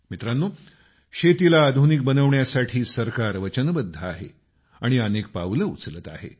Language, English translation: Marathi, Friends, the government is committed to modernizing agriculture and is also taking many steps in that direction